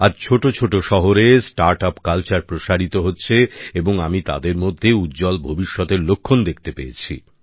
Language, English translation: Bengali, Today, the startup culture is expanding even to smaller cities and I am seeing it as an indication of a bright future